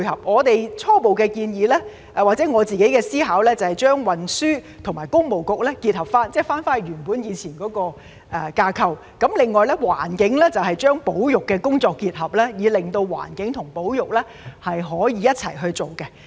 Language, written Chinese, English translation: Cantonese, 我們初步的建議或我自己的構思是把主管運輸和工務的政策局結合，即回復以往原本的架構；另外，在環境方面，則把保育的工作與之結合，令到環境和保育可以一起處理。, Our initial proposal or my own idea is to merge the Policy Bureaux that are responsible for transport and public works namely reverting to the original structure and to combine the environment with conservation work so that the environment and conservation can be dealt with together